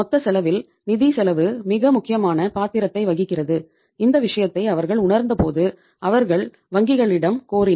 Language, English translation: Tamil, In the total cost financial cost plays a very very important role and when they realized this thing so they requested the banks